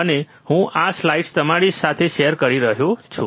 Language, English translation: Gujarati, And I am sharing this slides with you